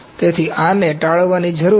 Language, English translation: Gujarati, So, this needs to be avoided